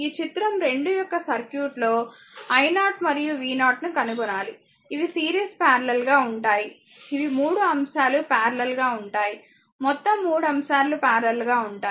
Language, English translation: Telugu, You have to find out i 0 and v 0 in the circuit of figure ah 2 these are series parallel ah these a a 3 3 elements are in parallel, right all 3 elements are in parallel